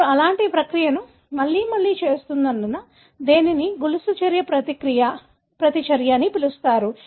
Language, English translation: Telugu, Why do you call as chain reaction, because you are repeating this similar process again and again